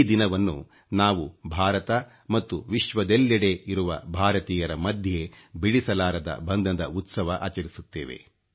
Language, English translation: Kannada, On this day, we celebrate the unbreakable bond that exists between Indians in India and Indians living around the globe